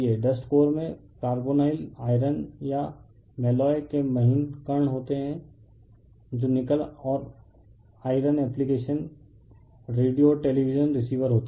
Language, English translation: Hindi, Dust core consists of fine particles of carbonyl iron or your call permalloy that is your nickel and iron application radio and television receivers, right